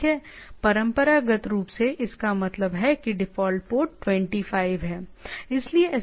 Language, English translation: Hindi, Traditionally, traditionally means what we say, default port is port 25